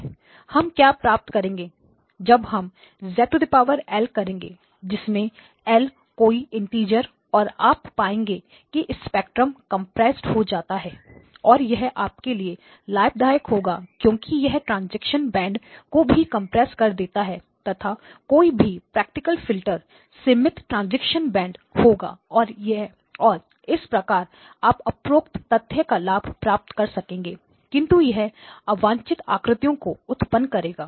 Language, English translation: Hindi, So what we find is that when we do this Z power L where L is some integer you find that the spectrum gets compressed and that gives you an advantage because that also compresses the transition band any practical filter will have a finite transition band and this is a way to take advantage of the fact but it will generate images